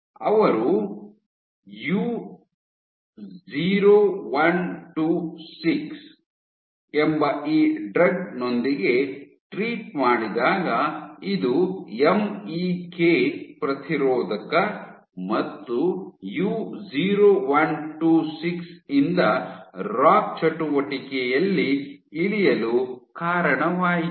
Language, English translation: Kannada, So, when they treated with this drug called U0126 this is a MEK inhibitor U0126 led to drop, drop in ROCK activity